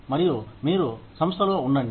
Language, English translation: Telugu, And, you stay with the organization